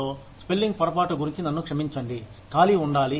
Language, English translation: Telugu, I am sorry about the spelling mistake, there should be a space here